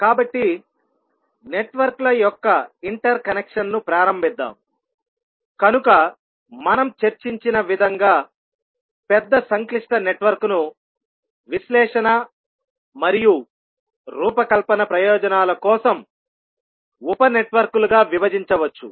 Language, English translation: Telugu, So, let us start the interconnection of the networks, so as we discussed that the large complex network can be divided into sub networks for the purposes of analysis and design